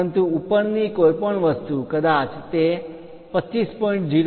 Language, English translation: Gujarati, But anything above that maybe 25